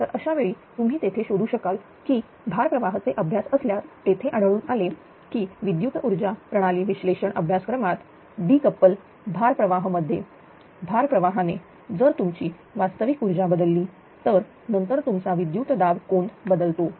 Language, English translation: Marathi, So, this at the time you will find that there is if there is a load flow studies we have seen that in the power system analysis course that decouple load flow right in the decoupled load flow, that your if real power changes right real power changes then your voltage angle is changes right